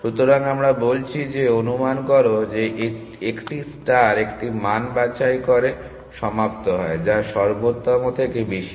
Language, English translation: Bengali, So, we are saying that assume that a star terminates by picking a value which is more than the optimal